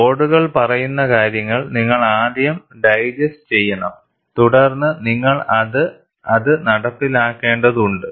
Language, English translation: Malayalam, You have to first digest what the codes say, then, you will have to get it implemented